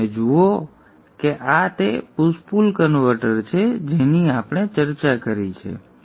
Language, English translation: Gujarati, So you see that this is the push pull converter that we have discussed